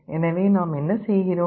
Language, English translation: Tamil, So, what we are actually doing